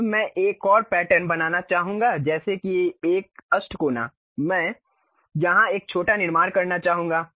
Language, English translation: Hindi, Now, I would like to make one more pattern like maybe an octagon I would like to construct here a small one